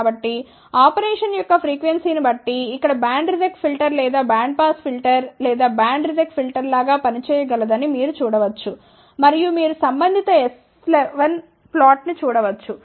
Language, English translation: Telugu, So, you can actually see that this particular simple thing here can act as a band reject filter or band pass filter or band reject filter, depending upon the frequency of operation and you can see the corresponding S 1 1 plot